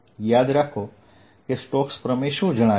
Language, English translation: Gujarati, remember what did stokes theorem say